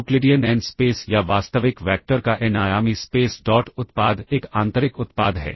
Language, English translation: Hindi, Euclidean n space or the n dimensional space of real vectors the dot product is an inner product